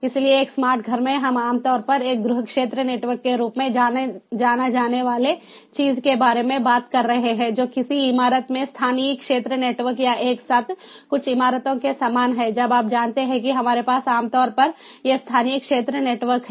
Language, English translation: Hindi, so in a smart home, we are typically talking about something known as home area network, which is analogous to something like a local area network in a building or couple of buildings together, when you, you know, typically we have these local area networks